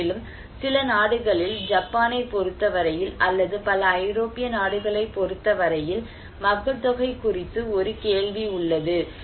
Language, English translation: Tamil, Also, in case of some countries like in case of Japan or in case of many European countries, there is a question about the populations